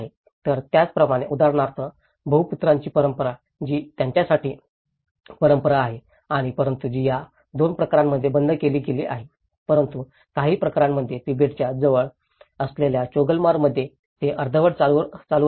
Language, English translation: Marathi, So, like that, like for example the polyandry which has been a tradition for them but that has been discontinued in these 2 cases but whereas, in Choglamsar which is close to the Tibetan in some cases they have partially continued